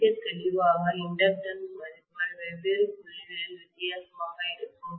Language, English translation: Tamil, Very clearly, the inductance values will be different in different points